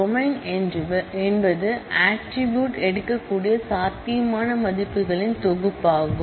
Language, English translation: Tamil, The domain is a set of possible values that attribute can take